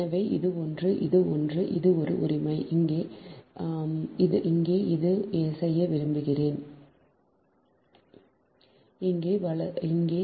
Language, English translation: Tamil, so this is one, this is one and this is one right, and here to here we want to make it